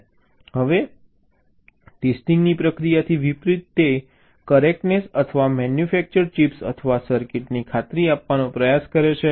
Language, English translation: Gujarati, now, in contrast, the process of testing, ah, it tries to guarantee the correctness or the manufactured chips or circuits